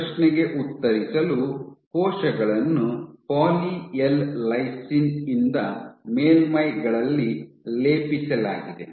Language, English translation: Kannada, So, to answer this question the cells were plated on Poly L lysine coated surfaces and what they observed